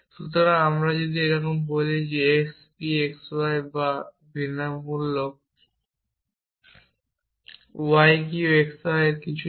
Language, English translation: Bengali, So, if I say something like this for all x p x y or exists y q x y something like this